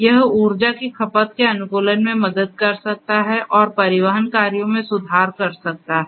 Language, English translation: Hindi, It can help in optimizing the energy consumption, and to improve the transportation operations